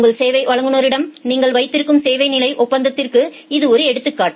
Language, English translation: Tamil, This is one example of service level agreement that you have with your service provider